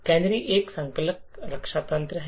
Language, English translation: Hindi, So, canary is a compiler defense mechanism